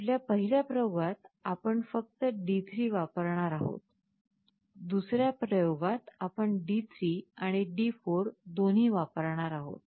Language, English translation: Marathi, In our first experiment we shall be using only D3, in the second experiment we shall be using both D3 and D4